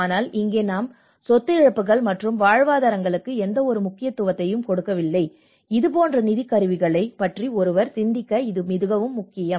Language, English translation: Tamil, But here we hardly give anything much about the property losses and livelihoods, and this is very important that one who can even think on these kinds of instruments, financial instruments